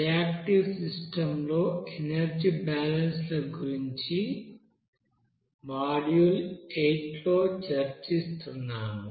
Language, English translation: Telugu, We are discussing about energy balances on reactive system under module eight